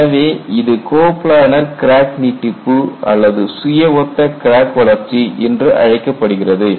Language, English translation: Tamil, So, you will call this as coplanar crack extension or self similar crack growth